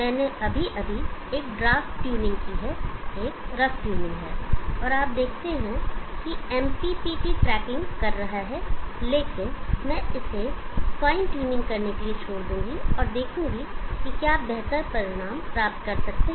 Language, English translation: Hindi, I have just done a draft tuning is a rough tuning and you will see that the MPPT is tracking, but I will leave it to you to do a fine tuning and see if you can get better results